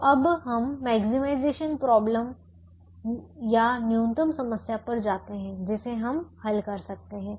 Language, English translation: Hindi, so we go to now we go to a minimization problem which we can solve